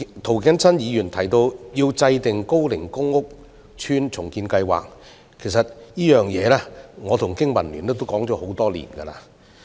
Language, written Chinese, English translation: Cantonese, 涂謹申議員提到要制訂高齡公共屋邨重建計劃，其實我與經民聯亦就此倡議多年。, Mr James TO has proposed the formulation of redevelopment plans for aged public housing estates . In fact BPA and I have also been advocating it for years